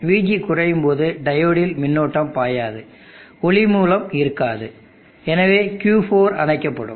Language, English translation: Tamil, When VG goes slow, there would not be current flow in the diode, no light source and therefore, Q4 will be off